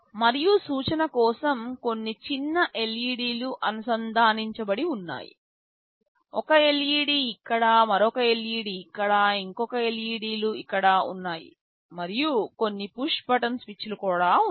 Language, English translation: Telugu, And for indication there are some small LEDs connected, one LED is here, one LED is here, one LEDs here, and there are some also push button switches